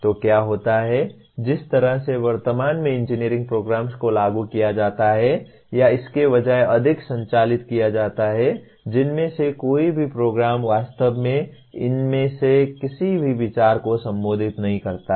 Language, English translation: Hindi, So what happens the way currently engineering programs are implemented or conducted more by rather none of the programs really address any of these consideration